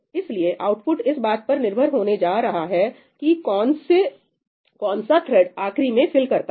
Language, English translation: Hindi, So, the output is going to depend on whichever thread filled up tid last, right